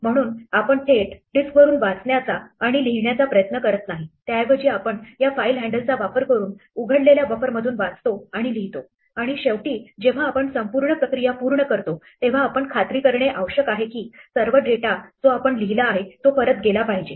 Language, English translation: Marathi, So, we do not directly try to read and write from the disk, instead we read and write from the buffer that we have opened using this file handle and finally, when we are done with our processing we need to make sure that all the data that we have written goes back